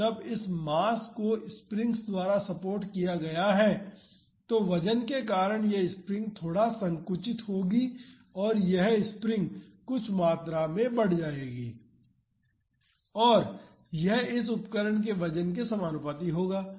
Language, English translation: Hindi, So, when this mass is supported by the springs because of the weight, this spring will get compressed a little and this spring will get extended by some amount and that would be proportional to the weight of this mass weight of this instrument